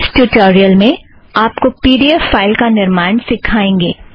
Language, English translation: Hindi, In this tutorial we will see, how to produce a pdf file that you see now